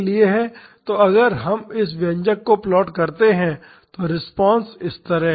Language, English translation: Hindi, So, if we plot this expression the response is like this